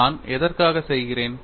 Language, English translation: Tamil, For which what I am doing